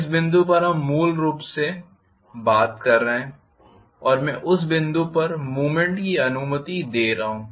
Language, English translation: Hindi, At this point we are basically talking about if I am allowing the movement, at that point